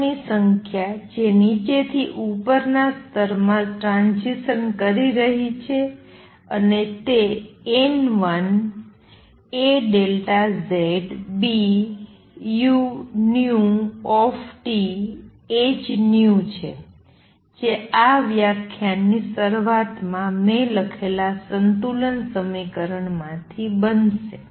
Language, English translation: Gujarati, Minus the number of atoms that are making transitions from lower to upper level, and that is going to be N 1 a delta Z B u nu T h nu from the balance equation that I wrote at the beginning of this lecture